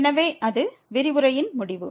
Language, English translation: Tamil, So, that is the end of the lecture